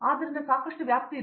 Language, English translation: Kannada, So, there is a lot of scope